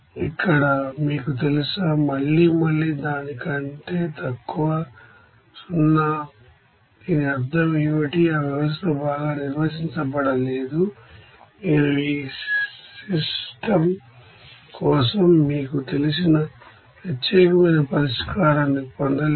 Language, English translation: Telugu, Here it is you know that again it is less than 0 what does it mean, that system is not well defined you cannot get the you know unique solution for this system